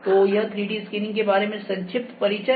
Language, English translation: Hindi, So, this was the brief introduction about 3D scanning